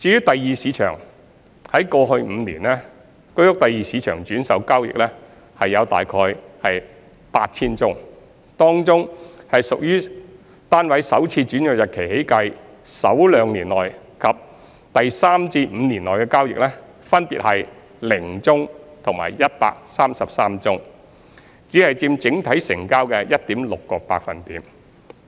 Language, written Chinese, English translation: Cantonese, 第二市場方面，在過去5年，居屋第二市場轉售交易共約 8,000 宗，當中屬於單位首次轉讓日期起計首兩年內及第三至五年內的交易，分別為0宗和133宗，只佔整體成交的 1.6%。, As for the Secondary Market there were a total of around 8 000 transactions in the Secondary Market in the past five years of which 0 and 133 transactions were made respectively in the first two years from first assignment and between the third to the fifth year from first assignment of the flat accounting for only 1.6 % of total transactions